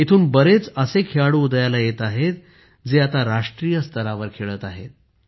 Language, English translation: Marathi, A large number of players are emerging from here, who are playing at the national level